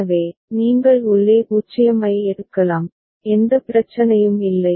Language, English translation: Tamil, So, you can take 0 inside, there is no problem ok